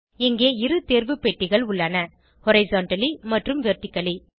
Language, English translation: Tamil, Here we have two check boxes Horizontally and Vertically